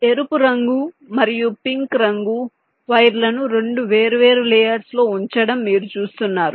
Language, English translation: Telugu, you see red and this pink wires are shown on two different layers